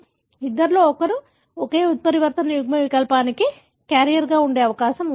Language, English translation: Telugu, So, one in two is likely to be a carrier for the same mutant allele